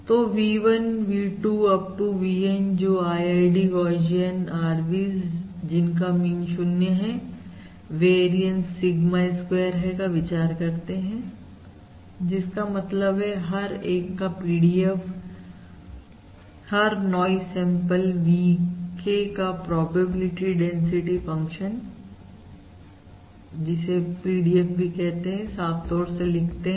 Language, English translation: Hindi, So consider V1, V2… Up to VN, to be IID, Gaussian RVs of mean 0, variance Sigma square, which means the PDF of each, the probability density function of each noise sample VK